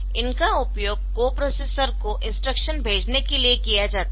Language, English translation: Hindi, So, this is for passing the instruction to a co processor